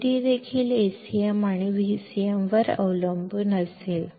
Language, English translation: Marathi, Vd will also depend on A cm and V cm